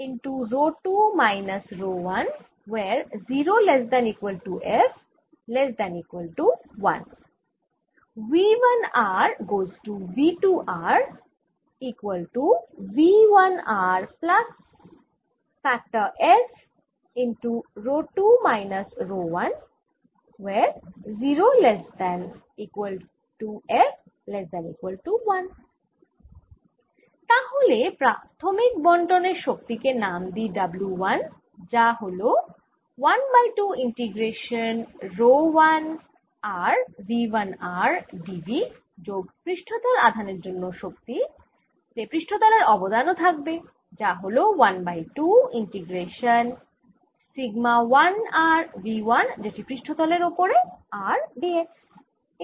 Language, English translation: Bengali, alright, so the energy of the initial distribution, let's call it w one, is nothing but one half integration rho one r v one r d v plus, because they are surface charges, there is going to be energy due to surface contribution, which is going to be one half integration sigma one r v one on the surface r d s